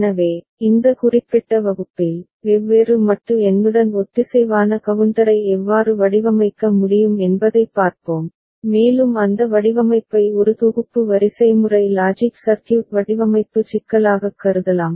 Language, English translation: Tamil, So, in this particular class, we shall see how synchronous counter with different modulo number can be designed and that design can be considered as a synthesis sequential logic circuit design problem